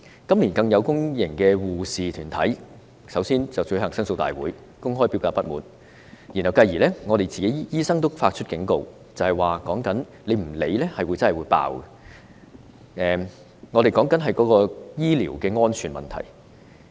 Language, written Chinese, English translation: Cantonese, 今年更有公營醫護團體先後舉行申訴大會，公開表達不滿，繼而醫生也警告，如果當局不加以理會，將會爆發醫療安全問題。, This year public health care groups have held grievance rallies to publicly express their discontents . Doctors also warned that if the authorities did not pay more attention health care safety would be jeopardized